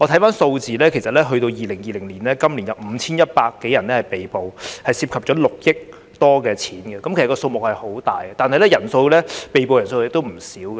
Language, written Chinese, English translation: Cantonese, 從數字可見 ，2020 年共有5100多人被捕，涉及6億多元的投注金額，數目相當大，而被捕人數亦不少。, According to the figures in 2020 a total of 5 100 people were arrested and the cash involved in betting amounted to more than 600 million; the sum involved was huge and the number of arrests was also significant